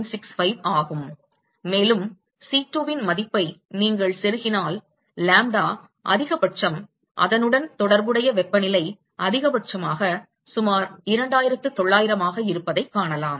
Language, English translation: Tamil, 965 and if you plug in the value of C2 you will find that lambda max into corresponding temperature max is about 2900, approximately